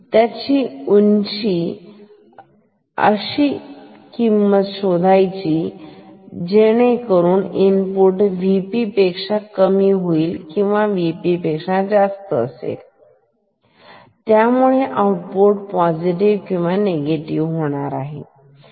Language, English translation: Marathi, So, find out the value of input which will make the input lower than V P or higher than V P so that the output becomes positive or negative ok